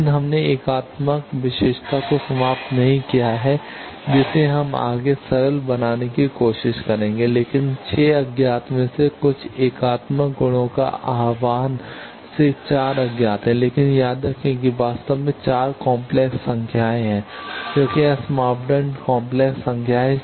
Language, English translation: Hindi, But we have not exhausted unitary property we will try to further simplify, but out of 6 unknowns invocation of some of the unitary properties are 4 unknowns, but remember there are actually 4 complex numbers because S parameters are complex number